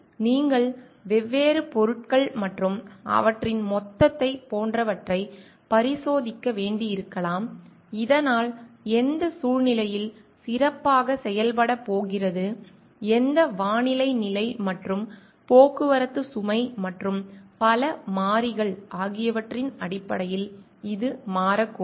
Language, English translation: Tamil, So, may be you need to experiment on like the different materials and their aggregate so which is going to work better in which situation, which weather condition and may be also this may change due to based on the traffic load and so many other variables that we may think of